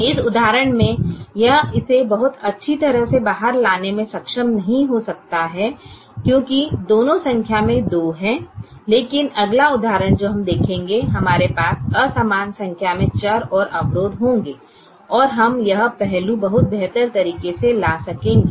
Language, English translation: Hindi, very important to understand that in this example, if we may not be able to bring it out very well because both are two in number, but the next example that we will see, we will have an unequal number of variables and constraints and we will be able bring this aspects much, much better